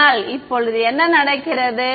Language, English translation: Tamil, But now what happens